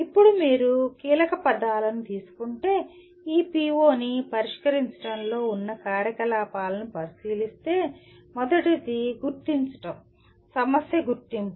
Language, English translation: Telugu, Now if you look at the activities involved in addressing this PO if you take the keywords, first is identify, problem identification